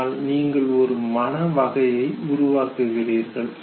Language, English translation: Tamil, And therefore you form a mental category, okay